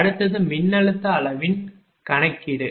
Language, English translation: Tamil, Next is calculation of voltage magnitude